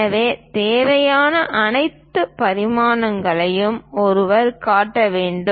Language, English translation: Tamil, So, one has to show all the dimensions whatever required